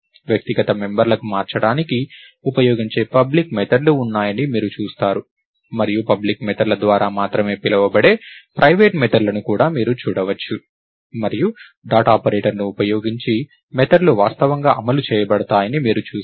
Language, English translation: Telugu, You will see that there are public methods that are used to manipulate the individual members, and you may also see private methods which are only called by public methods, and you will see that the methods are actually invoked using the dot operator